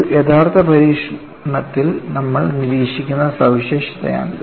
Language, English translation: Malayalam, And this is the feature that you observe in an actual experiment